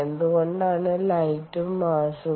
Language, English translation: Malayalam, why light and mass